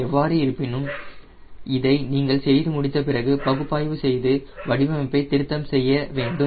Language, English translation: Tamil, however, after doing this, you need to do analysis and refine the design right